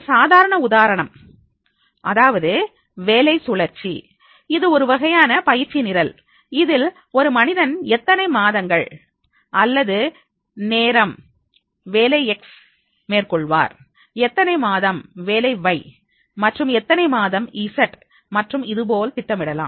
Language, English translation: Tamil, That job rotation is such an which is a space practice type of the training program in which the person you can design that is how many months period the person will be handling the job X, then how many months the job Y, how many months job J and like this that can be planned